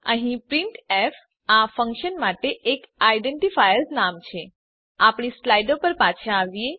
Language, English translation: Gujarati, Here, printf is the identifier name for this function Come back to our slides